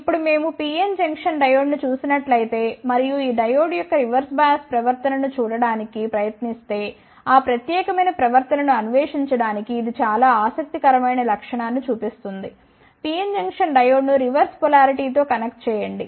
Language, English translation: Telugu, Now, if we see the PN Junction diode and if we try to see the reverse bias behavior of this diode, it shows a very interesting property just to explore that particular behavior just connect the PN junction diode in a reverse polarity